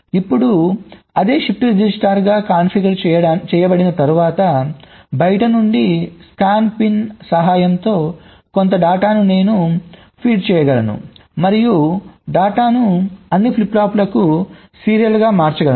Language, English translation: Telugu, now, once it is configured as the shift register, i can feed some data from outside from my scanin pin and i can serially shift the data to all the flip flops so i can initialize them very easily